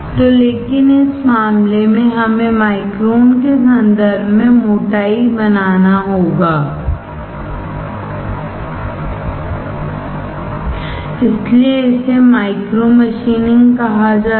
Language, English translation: Hindi, So, but in this case we have to make the thickness in terms of microns; that is why this is called micro machining